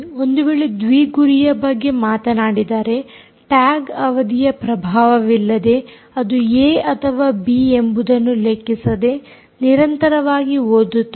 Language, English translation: Kannada, so if you talk about dual target, if you talk about dual target, the tag will be read continuously regarding, regardless of whether it is in a or b